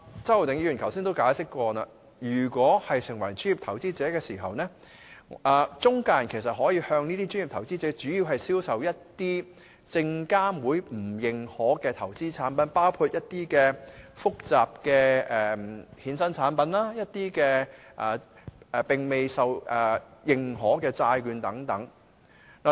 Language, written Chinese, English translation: Cantonese, 周浩鼎議員剛才也解釋過，當某人成為專業投資者，中介人便可以向他主要銷售一些證券及期貨事務監察委員會不用認可的投資產品，包括一些複雜的衍生產品，一些並未獲認可的債券等。, Mr Holden CHOW has just explained that if a person is qualified as a professional investor an intermediary selling investment products to him may just concentrate on products that require no authorization from the Securities and Futures Commission SFC . Such products include complex derivative products and unauthorized debentures etc